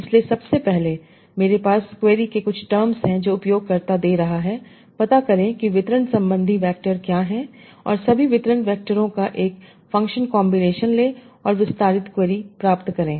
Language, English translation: Hindi, , firstly I have the query terms that the user is giving, find out what are the distribution factors, and take a functional combination of all the distribution factors and obtain the expended query